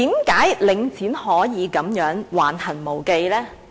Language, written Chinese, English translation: Cantonese, 為何領展可以如此橫行無忌呢？, Why can Link REIT act with such impunity?